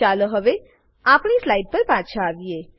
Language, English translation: Gujarati, Let us go back to our slide and summarise